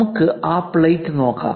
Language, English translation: Malayalam, Let us look at that plate